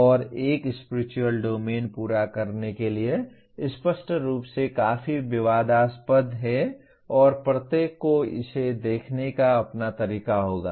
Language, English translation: Hindi, And for completion one Spiritual Domain is obviously quite controversial and each one will have their own way of looking at it